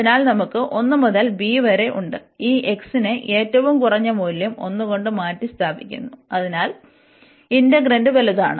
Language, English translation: Malayalam, So, we have 1 to b and this x is replaced by 1 the lowest possible value, so that the integrant is the larger one